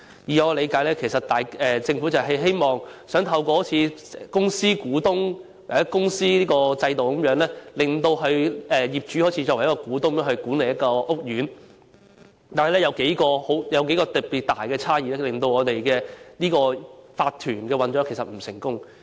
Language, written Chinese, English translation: Cantonese, 據我理解，其實政府希望透過類似公司股東的制度，讓業主以股東身份管理屋苑，但當中有數項特別大的不足之處令業主立案法團的運作並不成功。, As far as I understand it the Government actually seeks to enable property owners to manage their estates in the capacity as shareholders just like company shareholders . But there are several particularly material shortcomings which have rendered the operation of owners corporations OCs unsuccessful